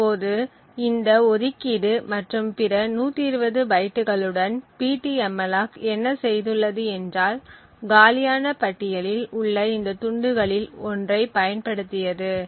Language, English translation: Tamil, Now with this allocation and other 120 bytes what ptmalloc has done is used one of these chunks which are in the free list and therefore our free list now just comes down to having just three memory chunks present